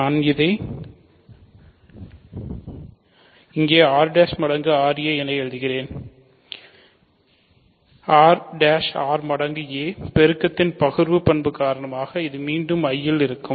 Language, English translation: Tamil, So, I will write it here r prime times ra is r prime r times a because of the distributive property of multiplication and this is again in I ok